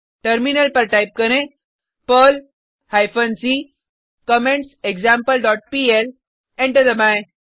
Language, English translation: Hindi, On terminal type perl hyphen c commentsExample dot pl, press Enter